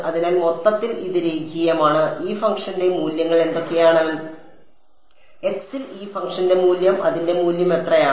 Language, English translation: Malayalam, So, overall it is linear and what are what are the values of this function at x 1, the value of this function at x at x 1 what its value